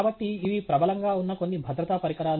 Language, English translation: Telugu, So, these are some safety devices that are prevalent